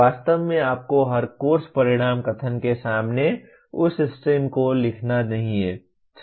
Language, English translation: Hindi, Actually you do not have to write that stem in front of every course outcome statement